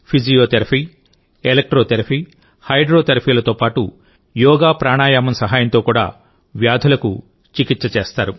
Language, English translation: Telugu, Along with Physiotherapy, Electrotherapy, and Hydrotherapy, diseases are also treated here with the help of YogaPranayama